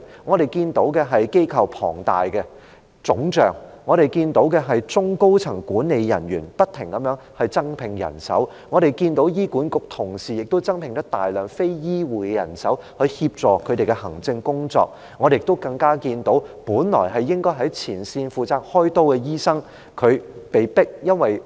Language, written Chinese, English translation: Cantonese, 我們看見機構龐大腫脹；我們看見中高層管理人員不停地增聘人手；我們看見醫管局的同事也增聘大量非醫護的人手來協助他們的行政工作，我們更看見本來應該在前線負責開刀的醫生被迫成為管理層......, We see a swollen organization which constantly recruits additional upper to middle management staff . We see that the colleagues in HA also hire a large number of non - healthcare staff to assist them in their administrative work . We even see that doctors who are supposed to be at the frontline responsible for surgical operations are forced to be in the management team In fact they might not be forced to be in the management team